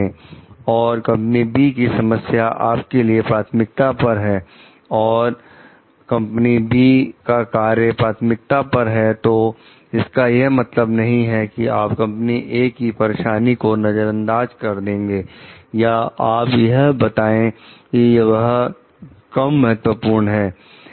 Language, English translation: Hindi, And company B s problem is a priority to you and company B had its project as priority does not mean like the company s A difficulty you can ignore or you can tell it is less important